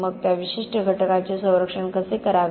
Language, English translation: Marathi, So how to protect that particular element